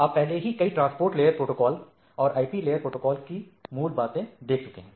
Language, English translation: Hindi, You have already looked into several transport layer protocols and also the basics of IP layer protocols